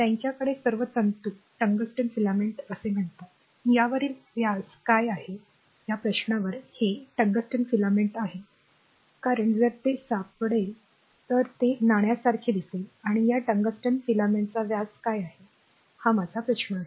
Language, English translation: Marathi, So, they have all the filaments tungsten filaments say so, a question to what is the diameter on this, your this tungsten filament because if you see then you will find it is look like a coin right and what is that your diameter of this tungsten filament this is a question to you